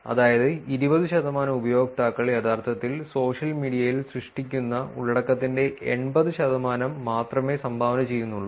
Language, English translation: Malayalam, which is to say that 20 percent of the users only actually contribute to the 80 percent of the content that is generated on the social media